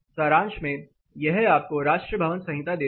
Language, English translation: Hindi, To some up this is what national building codes give you